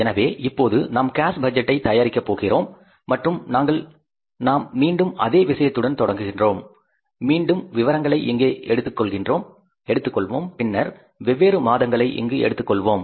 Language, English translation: Tamil, So now we are going to prepare this cash budget and we are starting with the again the same thing and we will have to take here as again the particulars and then we will take here the different months